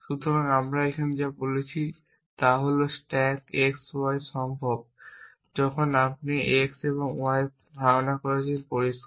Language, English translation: Bengali, So, what we a saying here is that stack x y is possible when you are holding x and y is clear